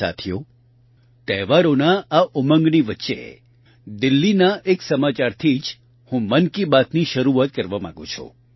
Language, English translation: Gujarati, Friends, amid the zeal of the festivities, I wish to commence Mann Ki Baat with a news from Delhi itself